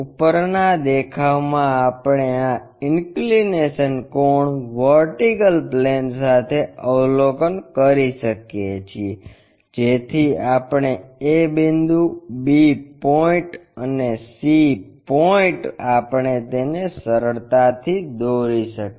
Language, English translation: Gujarati, In top view we can observe this inclination angle with the vertical plane, so that a point, b point and c point we can draw it